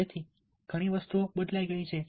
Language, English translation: Gujarati, so many things have changed